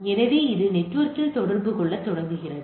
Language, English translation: Tamil, So, it can be connected to the network